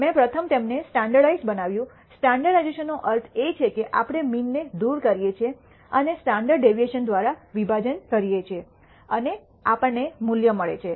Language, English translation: Gujarati, I first standardized them, standardization means we remove the mean and divide by the standard deviation and we get the values